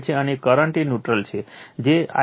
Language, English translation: Gujarati, And current is the neutral that is I n right